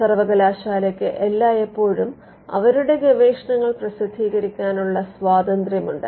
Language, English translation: Malayalam, Because university is always having an option of publishing their research